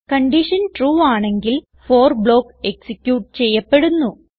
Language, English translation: Malayalam, If the condition is true then the for block will be executed